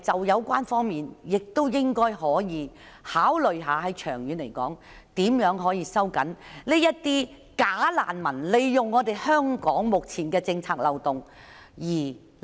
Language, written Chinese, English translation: Cantonese, 有關方面是否應該考慮，長遠而言收緊政策，以針對假難民利用及濫用香港目前的政策漏洞？, Should the relevant party consider tightening the policy in the long run so as to stop bogus refugees from exploiting or abusing the current policy loopholes of Hong Kong?